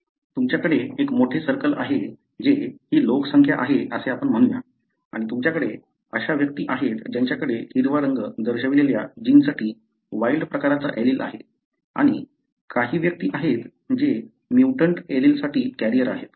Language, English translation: Marathi, So, you have a large circle that is this population, let us say and you have individuals that are having the wild type allele for a given gene that are shown with, the green colour plus and also a few individuals who are, let us say carrier for the mutant allele, right